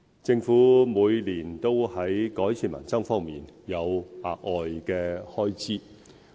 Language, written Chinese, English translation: Cantonese, 政府每年都在改善民生方面有額外開支。, The Government has provided additional funding each year to improve peoples livelihood